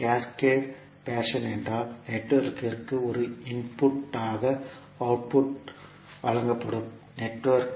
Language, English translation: Tamil, Cascaded fashion means the network a output is given as an input to network b